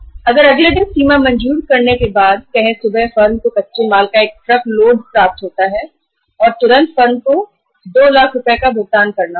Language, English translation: Hindi, If say after sanctioning the limit next day morning firm receives a truckload of the raw material and immediately the firm has to make a payment of 2 lakh rupees